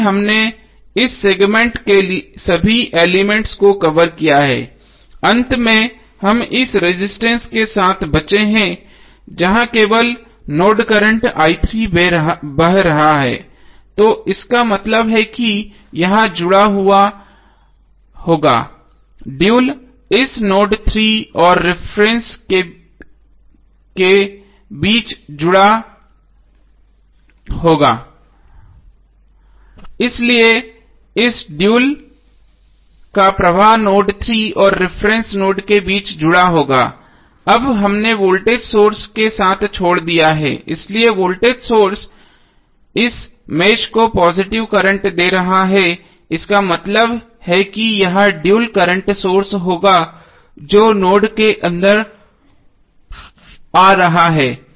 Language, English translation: Hindi, So we have covered all the elements of this segment, finally we are left with this resistance where only node the mesh current i3 is flowing, so it means that this would be connected the dual of this would be connected between node 3 and reference only, so the conductance of this dual would be connected between node 3 and reference node, now we have left with the voltage source, so voltage source is giving the positive current to this mesh so that means that the dual of this would be a current source which would be coming inside the node